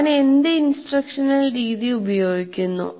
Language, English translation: Malayalam, What instructional method do I use